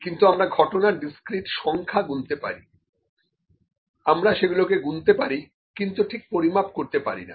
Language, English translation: Bengali, However, we can we can count the discrete value number of events the discrete events, so that we can count them but we cannot exactly measure them